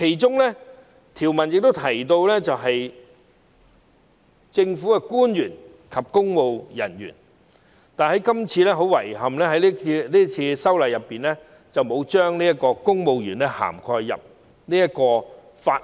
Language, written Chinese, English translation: Cantonese, 該條文亦提到政府官員及公務人員，但遺憾地，是次修例工作並沒有將公務員納入《條例草案》的涵蓋範圍。, The provision does mention government officials and public servants as well . But regrettably civil servants are not covered in the Bill in the present legislative amendment exercise